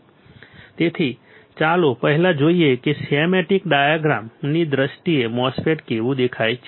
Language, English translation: Gujarati, So, let us first see how MOSFET looks like in terms of schematic diagram ok